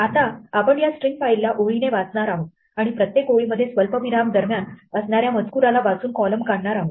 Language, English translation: Marathi, Now, what we can do with a string file is to read such a file line by line and in each line extract the columns from the text by reading between the commas